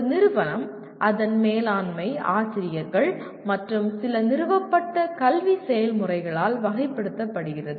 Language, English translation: Tamil, An institution is characterized by its management, faculty, and some established academic processes